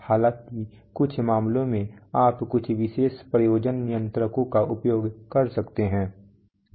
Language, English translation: Hindi, Though in some cases you may use some special purpose controllers